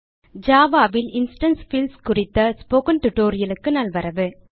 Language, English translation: Tamil, Welcome to the Spoken Tutorial on Instance Fields in Java